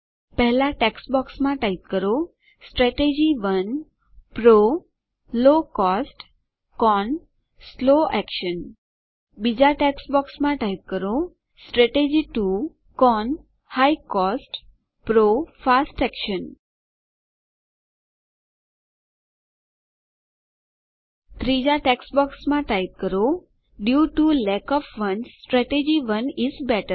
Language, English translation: Gujarati, In the first text box type: Strategy 1 PRO: Low cost CON: slow action In the second text box type: Strategy 2 CON: High cost PRO: Fast Action In the third text box type: Due to lack of funds, Strategy 1 is better